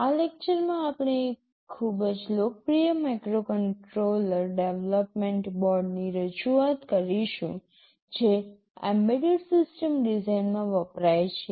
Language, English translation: Gujarati, In this lecture we shall be introducing you to one very popular microcontroller development board that is used in embedded system design